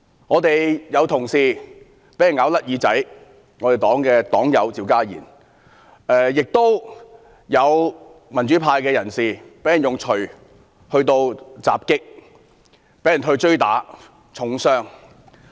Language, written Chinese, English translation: Cantonese, 我們有同事被咬甩耳朵，那便是我們的黨友趙家賢，亦有民主派人士被人用鎚襲擊和追打至重傷。, A colleague of ours was bitten and his ear was bitten off . He is our party member CHIU Ka - yin . Some people of the democratic camp were chased after and struck with a hammer and were badly hurt